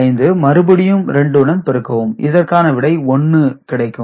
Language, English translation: Tamil, 5 it is multiplied by 2